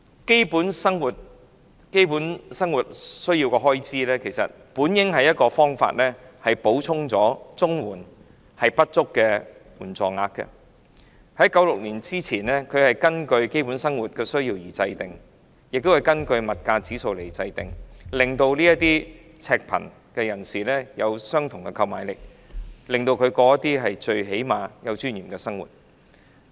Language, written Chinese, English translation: Cantonese, 基本生活需要的開支本應是補充綜援不足的援助額，在1996年之前，這是根據基本生活需要和物價指數來制訂，讓赤貧人士維持相同購買力，至少能有尊嚴地生活。, The expenditure on basic needs in daily living should originally be supplementary to make up for the shortfall of CSSA payment . Prior to 1996 it was determined in accordance with basic living needs and the price indices with a view to maintaining the purchasing power of the people living in abject poverty so that they could at least live with dignity